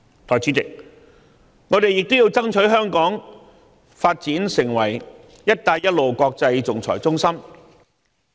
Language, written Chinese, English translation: Cantonese, 代理主席，我們亦要爭取香港發展成為"一帶一路"國際仲裁中心。, Deputy President we also have to strive to develop Hong Kong into an international arbitration centre for the Belt and Road